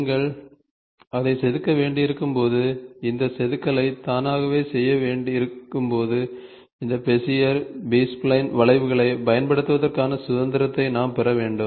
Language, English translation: Tamil, So, when you have to carve it and get this carving done automatically, then we are supposed to get this get to this freedom of using this Bezier, B spline curves